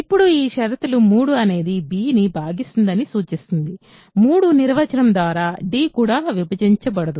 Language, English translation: Telugu, So, now this condition implies 3 does not divide b; 3 does not divide d also by definition right